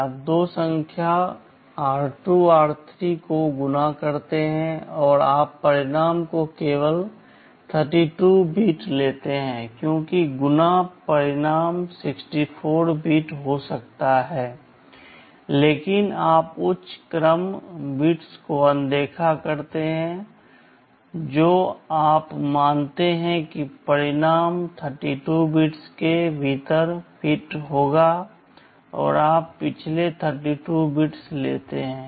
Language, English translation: Hindi, You multiply the two numbers r2, r3 and you take only 32 bits of the result because multiplication result can be 64 bit, but you ignore the high order bits you assume that the result will fit within 32 bits and you take only the last 32 bits